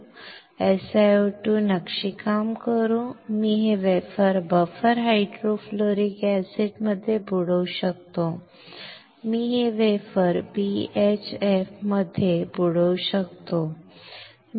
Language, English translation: Marathi, So, by for etching SiO2 I can dip this wafer in buffer hydrofluoric acid; I can dip this wafer in BHF